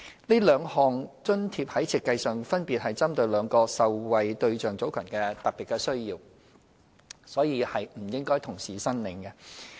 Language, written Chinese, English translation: Cantonese, 這兩項津貼在設計上分別針對兩個受惠對象組群的特別需要，故此不應同時申領。, Their designs have taken into account the special needs of the two respective target groups of beneficiaries . Therefore a person cannot receive both allowances concurrently